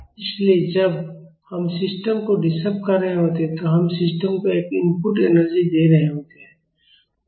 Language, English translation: Hindi, So, when we are disturbing the system, we are giving an input energy to the system